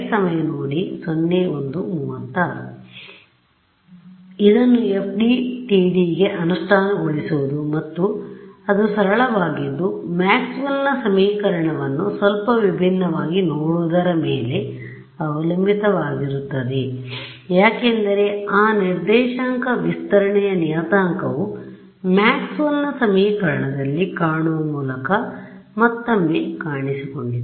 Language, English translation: Kannada, So, implementing it into FDTD and turns out its actually very simple just depends on us looking at Maxwell’s equation a little bit differently; why because that coordinate stretching parameter it appeared in Maxwell’s equation just by relooking right